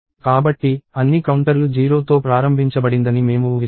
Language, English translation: Telugu, So, we assume that all the counters are initialized to 0